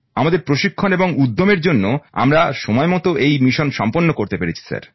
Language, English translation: Bengali, Because of our training and zeal, we were able to complete these missions timely sir